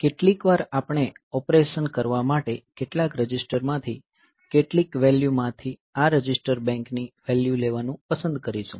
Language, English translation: Gujarati, So, sometimes we will like to take this register bank values from some of the values from some of the registers to do the operation